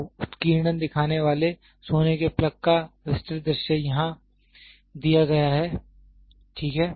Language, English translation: Hindi, So, the enlarged view of the gold plug showing the engraving is given here, ok